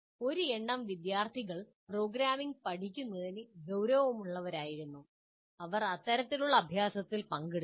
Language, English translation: Malayalam, A small number of students who are serious about learning programming, then they have participated in these kind of exercises